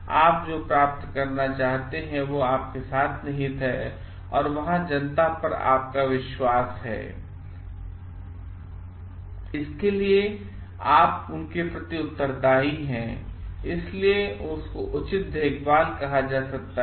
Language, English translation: Hindi, What you want to get is an outcome lies with you and there the public at large have a trust on you and for that you owe to them this like this part is called due care